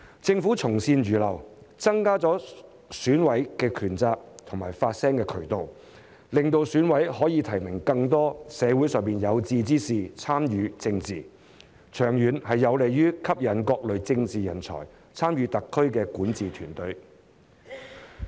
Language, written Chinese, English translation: Cantonese, 政府從善如流，增加了選委的權責和發聲渠道，讓選委可以提名更多社會上的有志之士參與政治，長遠有利於吸引各類政治人才參與特區的管治團隊。, Taking advice with a receptive mind the Government has enhanced the power and responsibility of EC members as well as the channels for them to voice their opinions . By allowing EC members to nominate more members of the community with high aspirations to participate in politics this is conducive to attracting various types of political talents to join the SAR governing team in the long term